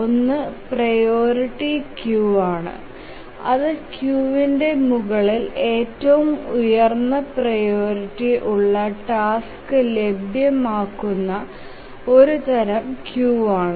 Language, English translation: Malayalam, If you can recollect what is a priority queue, it is the one, it's a type of queue where the highest priority task is available at the top of the queue